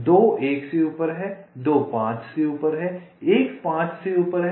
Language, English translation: Hindi, two is above one, two is above five, one is above three